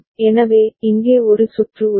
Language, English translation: Tamil, So, here is a circuit